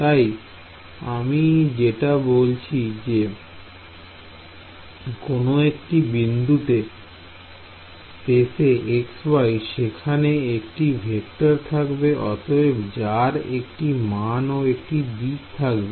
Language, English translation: Bengali, So, as I said at any point in space x y there will be a vector so, therefore, a magnitude and a direction ok